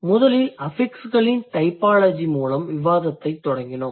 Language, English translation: Tamil, First thing we started the discussion with the typology of affixes